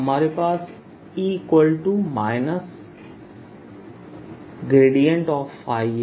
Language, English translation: Hindi, we have e